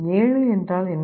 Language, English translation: Tamil, What is 7